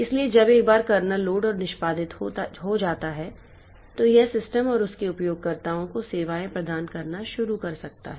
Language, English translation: Hindi, So, once the kernel is loaded and executing, it can start providing services to the system and its users